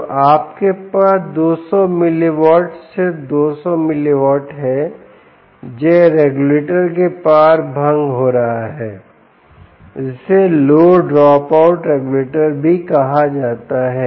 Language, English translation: Hindi, so you have two hundred mili watt, just two hundred milli watt, being dissipated across this regulator, which is also called the low dropout regulator